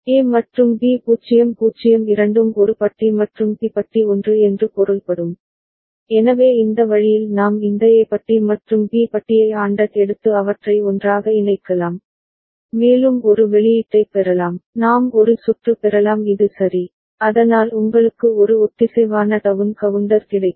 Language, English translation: Tamil, And both of the A and B 0 0 means A bar and B bar are 1, so that way right we can take this A bar and B bar ANDed and put them together, and we can get a output, we can get a circuit like this ok, so that will give you a synchronous down counter all right